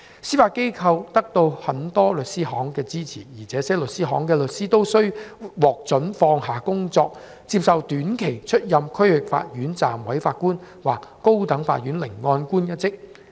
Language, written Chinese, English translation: Cantonese, 司法機構得到很多律師行的支持，這些律師行的律師都獲准放下工作，接受短期出任區域法院暫委法官或高等法院聆案官一職。, Many law firms support the Judiciary by permitting their solicitors to clear their diaries so they can accept temporary appointments as Deputy District Court Judges or as Masters in the High Court